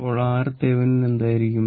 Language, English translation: Malayalam, So, what will be the R thevenin